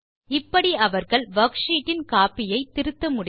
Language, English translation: Tamil, This way they can edit a copy of the worksheet